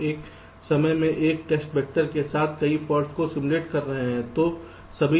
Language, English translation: Hindi, we were simulating many faults together with one test vector at a time